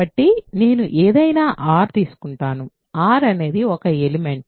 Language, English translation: Telugu, So, I will take any r; r is an element